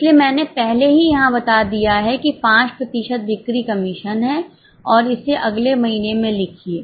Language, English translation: Hindi, So, I have already stated it here, sales commission at 5% and write it in the next month